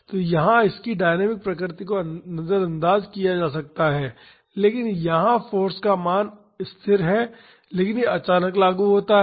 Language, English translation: Hindi, So, that it is dynamic nature can be ignored, but here the value of the force is constant, but it is suddenly applied